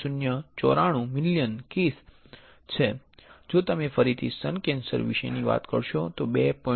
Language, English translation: Gujarati, 094 million cases; where if you talk about breast cancer again close to 2